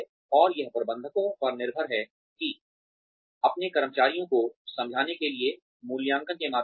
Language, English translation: Hindi, And, it is up to the managers, to convince their employees, through the appraisals